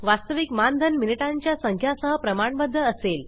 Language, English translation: Marathi, Actual honorarium will be proportional to the number of minutes